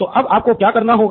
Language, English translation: Hindi, What do you have to do then